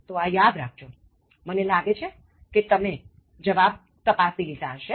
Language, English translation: Gujarati, So, remember this, I hope you have checked the answers